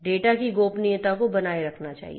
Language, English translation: Hindi, The privacy of the data should be maintained